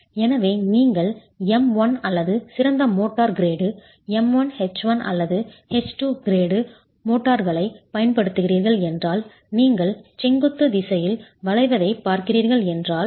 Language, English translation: Tamil, So if you are using a motor grade that is M1 or better, M1, H1 or H2 grade motors, then if you are looking at bending in the vertical direction